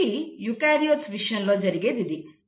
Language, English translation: Telugu, So this happens in case of eukaryotes